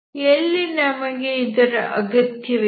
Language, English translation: Kannada, So why do we need this